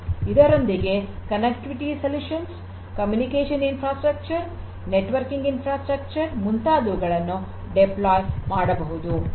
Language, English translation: Kannada, We can also place the connectivity solutions, the communication infrastructure, networking infrastructure and so on